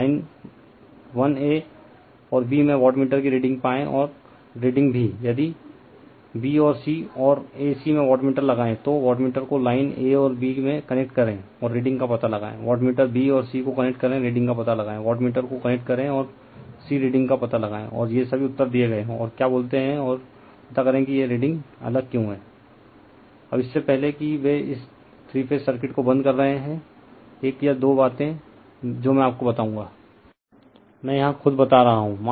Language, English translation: Hindi, Find the readings of wattmeter in lines 1 a and b and the readings also , if, you put wattmeter in b and c and a c having , you connect the wattmeter in line a and b and find out the reading; you connect the wattmeter b and c , find out the reading you connect the wattmeter a and c find out the reading and all these answers are given all the and and you you are what you call and you find out why this readings are different right